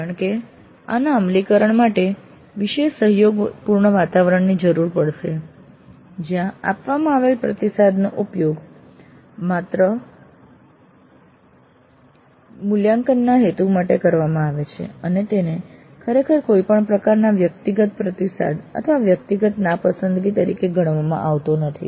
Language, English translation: Gujarati, Of course the implementation of this would require considerable kind of a cooperative environment where the feedback that is given is used only for the purpose of evaluation and it is not really considered as any kind of personal kind of feedback or a personal kind of affront